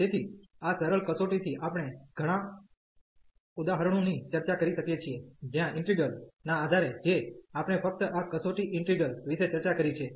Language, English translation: Gujarati, So, with this simple test we can discuss many examples, where based on the integral which we have just discuss this test integral